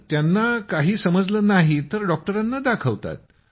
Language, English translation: Marathi, Since they don't understand, they show it to the doctor